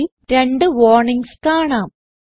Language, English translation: Malayalam, We see 2 warnings in the code